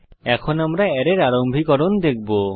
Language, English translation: Bengali, Let us start with the introduction to Array